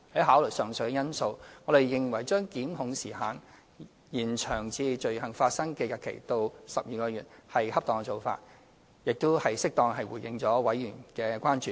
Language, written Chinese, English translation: Cantonese, 考慮到上述因素，我們認為延長檢控時效限制至罪行發生日期後12個月是恰當做法，並已適當地回應了委員的關注。, Taking the aforesaid factors into consideration we find an extension of the time limit of prosecution to within 12 months after the date of the commission of offences appropriate and a proper response to the concern of Members